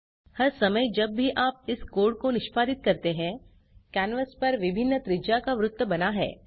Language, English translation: Hindi, Every time you execute this code, a circle with a different radius is drawn on the canvas